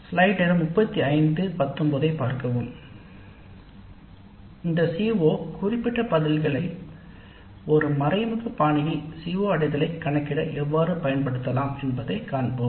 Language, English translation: Tamil, Then let us see how we can use this CO specific responses to compute the attainment of the Cs in an indirect fashion